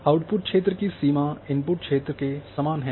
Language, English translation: Hindi, The boundary of the output coverage is identical to the input coverage